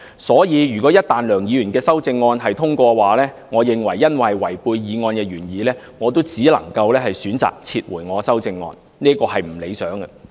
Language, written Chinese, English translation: Cantonese, 所以，一旦梁議員的修正案獲得通過，因為違背了原議案的原意，我只能夠選擇撤回我的修正案，這是不理想的。, Therefore once Dr LEUNGs amendment is passed I can only opt to withdraw my amendment because it violates the original intent of the original motion . This is undesirable